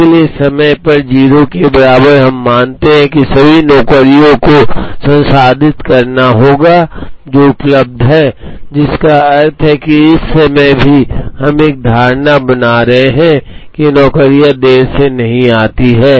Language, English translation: Hindi, So, at time t equal to 0, we assume that all the jobs that have to be processed are available, which also means at this point in time, we are making an assumption that the jobs do not come late